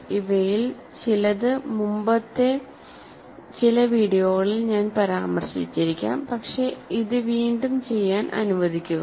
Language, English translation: Malayalam, Some of this I may have referred to in some earlier videos, but let me do it any way again